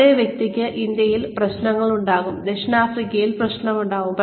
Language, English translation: Malayalam, The same person may have trouble in India, and say in South Africa